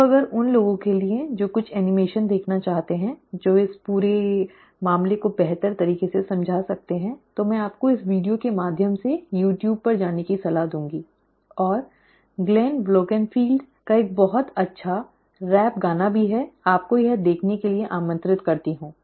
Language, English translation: Hindi, So if for those who are interested to see certain animations which can explain this whole thing in a better fashion, I would recommend you to go through this video on youtube, and there is also a very nice fun rap song by Glenn Wolkenfeld, I would invite you to see that as well